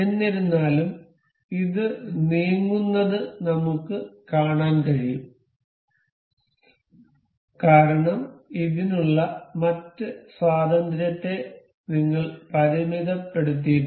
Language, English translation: Malayalam, However, this we can see this moving because we have not constraint other degrees of freedom for this